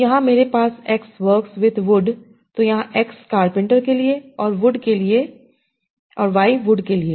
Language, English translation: Hindi, So here, so I have a pattern, x works with wood, x fits for carventor, y fits for wood